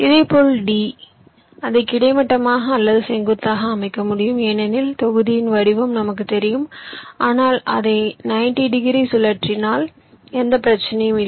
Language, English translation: Tamil, ok, similarly, d, i can lay it out either horizontally or vertically because i know the shape of the block, but there is no problem if i rotate it by ninety degrees